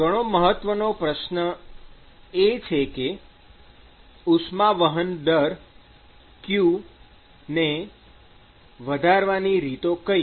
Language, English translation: Gujarati, It is a very, very important question: how to increase q